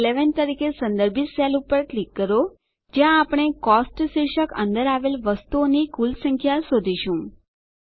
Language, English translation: Gujarati, Click on the cell referenced as C11 where we will find the total of the items under the heading Cost